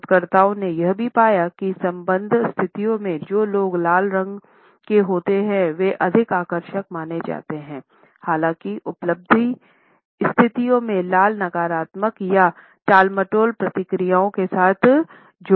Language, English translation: Hindi, Researchers have also found that in affiliative situations, people who are attired in red color are perceived to be more attractive, however in achievement situations red is associated with negative or avoidant responses